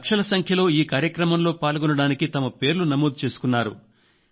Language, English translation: Telugu, Lakhs of people had registered to attend this event